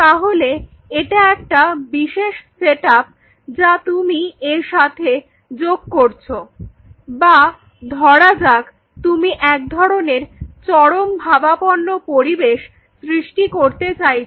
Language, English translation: Bengali, This is one specialize setup your adding in to it or say for example, you wanted to create certain situation of unusual extreme environment situation